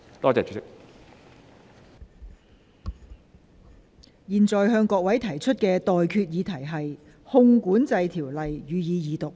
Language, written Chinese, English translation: Cantonese, 我現在向各位提出的待決議題是：《汞管制條例草案》，予以二讀。, I now put the question to you and that is That the Mercury Control Bill be read the Second time